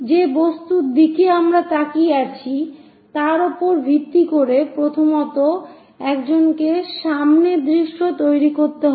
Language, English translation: Bengali, Based on the object where we are looking at first of all, one has to construct a frontal view